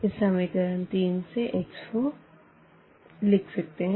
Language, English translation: Hindi, In that case now from this equation number 3 we can write down x 4